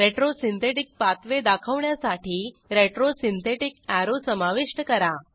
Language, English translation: Marathi, Let us add a retro synthetic arrow, to show the retro synthetic pathway